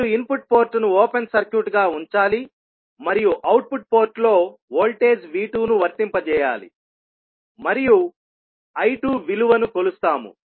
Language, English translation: Telugu, You have to keep input port as open circuit and apply voltage V2 across the output port and we measure the value of I2